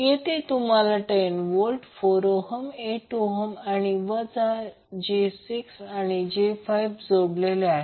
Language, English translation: Marathi, Wwhere you have 10 volt, 4 ohm,8 ohm and minus j 6 and j 5 ohm connected